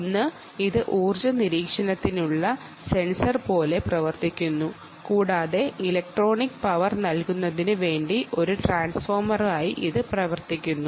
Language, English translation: Malayalam, one is it works like a sensor for energy monitoring and it also works as a transformer for powering the electronics